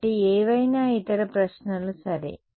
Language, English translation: Telugu, So, any other questions ok